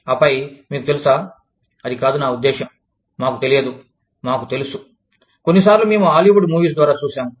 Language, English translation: Telugu, And then, so you know, it was not, i mean, we did not know, we knew, sometimes, we would see through, Hollywood Movies